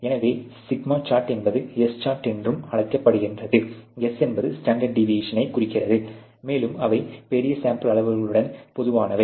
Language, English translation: Tamil, So, the σ chart is also better known as the S chart; S stands for the standard deviation, and they are typically with the larger sample sizes